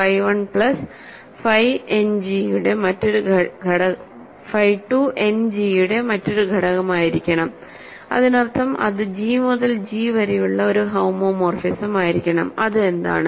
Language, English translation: Malayalam, Phi 1 plus phi 2 must be another element of End G right; that means, it must be a homomorphism from G to G